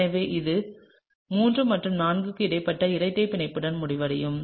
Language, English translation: Tamil, So, you will end up with a double bond between 3 and 4, okay